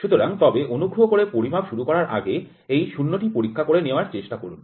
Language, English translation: Bengali, So, but please try to do this 0 dialing before start measurement